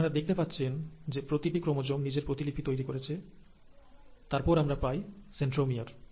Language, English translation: Bengali, So you can see that each chromosome had given rise to its new copy, and then you had the centromere